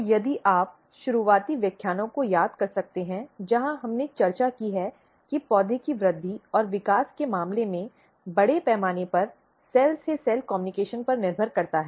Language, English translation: Hindi, So, if you can recall early lectures where we have discussed that in case of plant growth and development to large extent depends on the cell to cell communication